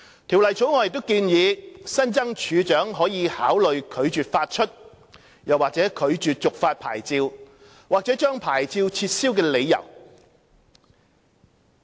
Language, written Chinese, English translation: Cantonese, 《條例草案》亦建議新增處長可考慮拒絕發出/續發牌照或將牌照撤銷的理由。, Also the Bill proposed to provide new grounds for the Commissioner to consider refusing to issue or renew or revoking a licence